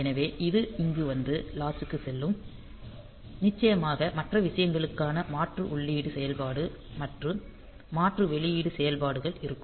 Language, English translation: Tamil, So, this will be coming here and going to the latch and of course so other things the alternate input function and alternate output functions